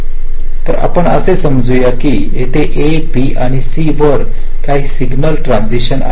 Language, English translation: Marathi, we assume that there are some signal transitions appearing at a, b and c